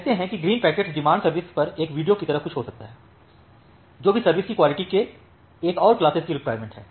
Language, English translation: Hindi, Say the green packet may be something like a video on demand services, which also require another class of quality of service